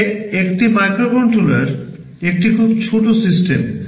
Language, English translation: Bengali, But a microcontroller is a very small system